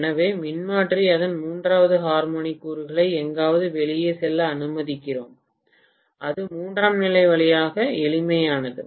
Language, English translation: Tamil, So that is how we actually you know allow the transformer to went out its third harmonic component somewhere and that is doing through tertiary as simple as that